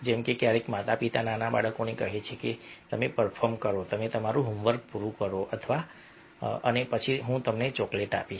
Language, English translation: Gujarati, like sometimes, parents are telling to small kids that you perform, you complete your homework and then i will give you chocolate